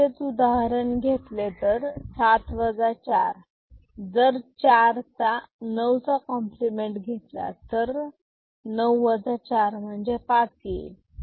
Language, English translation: Marathi, So, for the same example of 7 minus 4; 9’s complement of 4 is 5